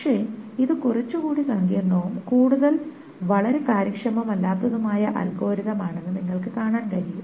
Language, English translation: Malayalam, But you see that this is a little bit more clumsy and not very efficient algorithm